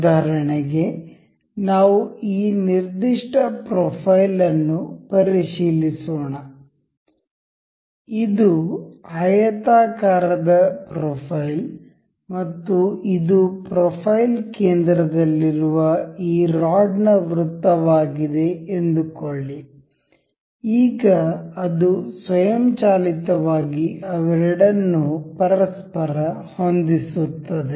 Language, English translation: Kannada, For instance, let us just check this particular profile; this rectangular profile and the say this is a circle of this rod in the profile center, now it automatically aligns the two of them to each other